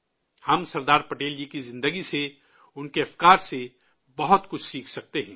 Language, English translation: Urdu, We can learn a lot from the life and thoughts of Sardar Patel